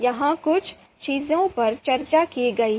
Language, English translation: Hindi, So few things have been discussed here